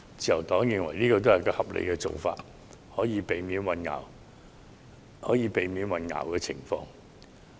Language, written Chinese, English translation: Cantonese, 自由黨認為這是合理的做法，可以避免出現混淆。, The Liberal Party considers this amendment reasonable to avoid confusion